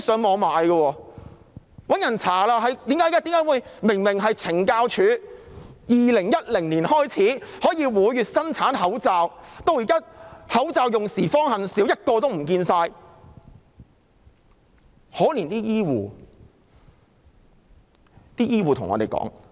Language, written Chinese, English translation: Cantonese, 大家調查後發現懲教署由2010年開始每月生產口罩，但現在"口罩用時方恨少"，一個也找不到。, After investigation we have come to know that the Correctional Services Department CSD have started to produce masks every month since 2010 . But now we have realized that we do not have enough masks not even able to get one only when we need them